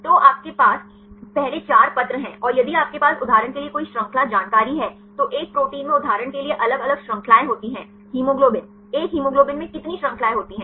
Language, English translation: Hindi, So, you have the first 4 letters, and if you have any chain information for example, a protein contains different chains right for example, hemoglobin how many chains in a hemoglobin